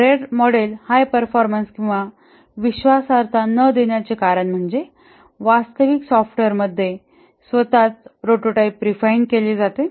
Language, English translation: Marathi, The reason why the RAD model does not give high performance and reliability is that the prototype itself is refined into the actual software